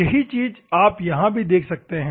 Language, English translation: Hindi, The same thing you can see here